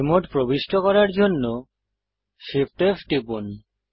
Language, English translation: Bengali, Press Shift, F to enter the fly mode